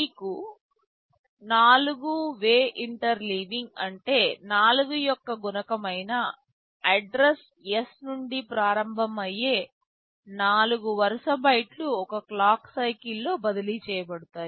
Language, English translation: Telugu, If you have 4 way interleaving, then 4 consecutive bytes starting from an address that is a multiple of 4 can be transferred in a single clock cycle